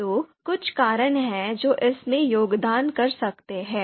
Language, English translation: Hindi, So, there are few reasons which can contribute to this